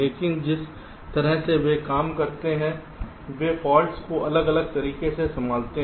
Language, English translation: Hindi, but the way they work, they handle the faults, are distinctly different